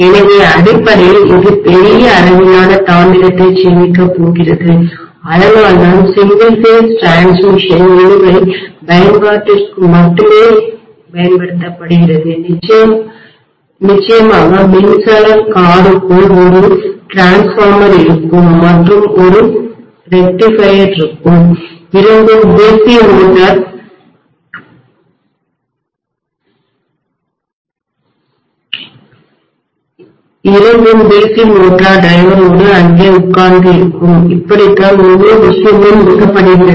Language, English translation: Tamil, So basically it is going to save on huge amount of copper, that is the reason why single phase transmission is being used only for traction application, of course inside the electric car that will be a transformer and there will be a rectifier normally, both will be sitting there along with DC motor drive that is how the entire thing is driven